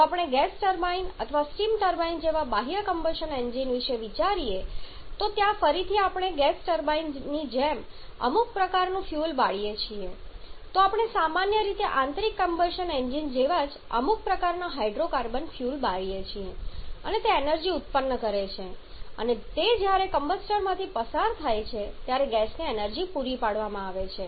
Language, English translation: Gujarati, If we talked about the external combustion engines like the gas turbine or steam turbine they are again we are burning some kind of feel like in gas turbine we generally burn some kind of hydrocarbon fuels quite similar to the internal combustion engines and that produces energy and that energy is supplied to the heat when it passes to the supplied to the gas when it passes to the combustor